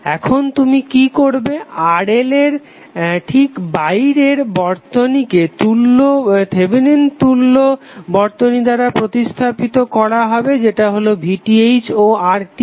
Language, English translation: Bengali, Now what you will do the exact external to your load RL would be replaced by its Thevenin equivalent that is VTh and RTh